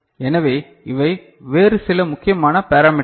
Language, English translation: Tamil, So, these are some other important parameters